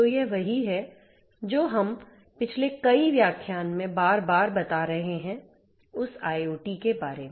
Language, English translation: Hindi, So, this is what we have been telling time and again in the last several lectures that IoT